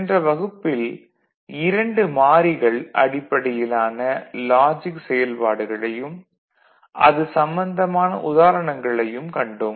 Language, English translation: Tamil, So, the in the previous classes we are looking at two variable examples two variable logic operations right